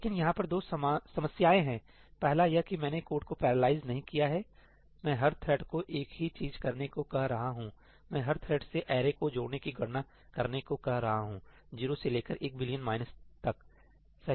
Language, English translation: Hindi, But of course, there are two problems over here one is that I have not actually parallelized the code, I am asking each thread to do exactly the same thing, I am asking each thread to compute the sum of the entire array from 0 to billion minus 1, right